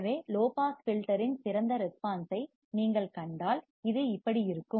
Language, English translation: Tamil, So, if you see ideal response of the low pass filter, it will look like this